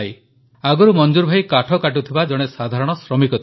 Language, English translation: Odia, Earlier, Manzoor bhai was a simple workman involved in woodcutting